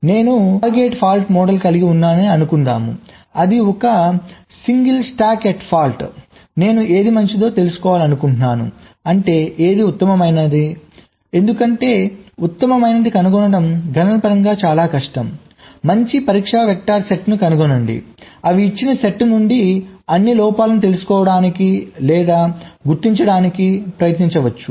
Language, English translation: Telugu, so, assuming that i have ah target for model, for example the single stack at fault, i want to find out what is the good ok, i means i will not so optimum, because finding the optimum is again very computationally difficult find a good set of test vectors that will try to find out or detect all the faults from the given set